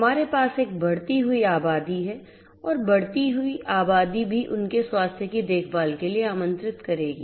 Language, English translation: Hindi, We have a growing population and growing population also will invite you know taken care of their health